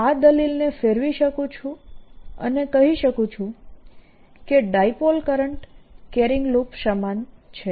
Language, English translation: Gujarati, i can turn this argument around and say that a dipole is equivalent to a current carrying loop